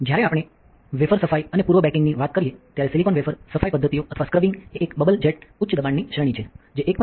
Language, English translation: Gujarati, So, when we talk about wafer cleaning and pre baking, silicon wafer cleaning methods or scrubbing are a bubble jet high pressure range sonication at 1